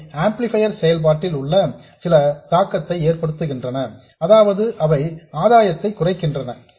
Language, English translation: Tamil, And they do have some effect on the operation of the amplifier, that is that they end up reducing the gain